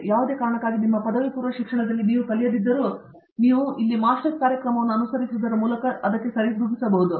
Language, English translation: Kannada, And, whatever you did not learn in your undergraduate education for whatever reason, you can probably compensate for that by pursuing a Master's program here